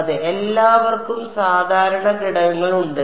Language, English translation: Malayalam, Yeah, everyone else has normal component